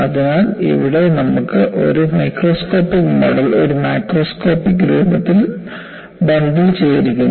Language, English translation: Malayalam, So, here you have a microscopic model, is bundled with a macroscopic appearance